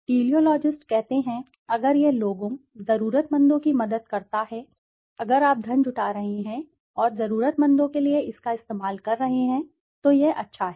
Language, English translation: Hindi, The Teleologist says, okay if it helps people, the needy, if you are raising funds and using it for the needy, then so be it, good